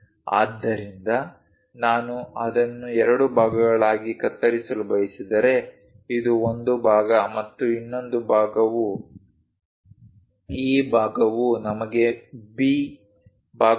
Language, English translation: Kannada, So, if I want to really cut it into two parts separate them out this is one part and the other part is this back one let us call B part, the front one is A